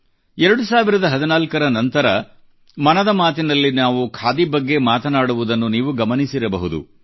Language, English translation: Kannada, You must have noticed that year 2014 onwards, we often touch upon Khadi in Mann ki Baat